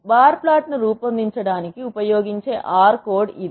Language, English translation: Telugu, This is the R code that can be used to generate the bar plot